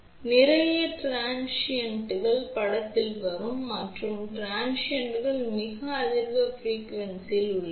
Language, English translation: Tamil, So, a lot of transients will come into picture and these transients are at very high frequency